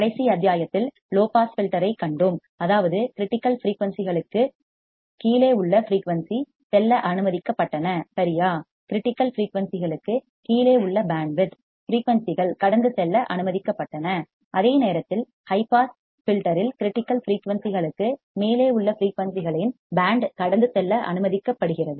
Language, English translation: Tamil, In the last module, we have seen low pass filter; that means, the frequency below critical frequencies were allowed to pass right, band frequencies below for critical frequencies were allowed to pass while in case of high pass filter the band of frequencies above critical frequencies are allowed to pass